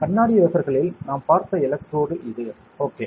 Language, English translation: Tamil, So, this is the electrode that we have seen in the glass wafer, ok